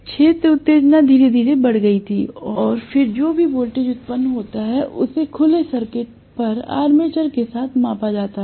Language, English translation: Hindi, The field excitation was slowly increased, and then whatever is the voltage generated was measured with the armature on open circuit